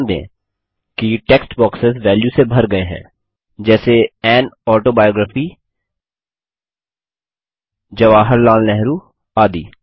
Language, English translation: Hindi, Notice that the text boxes are filled with values, that read An autobiography, Jawaharlal Nehru etc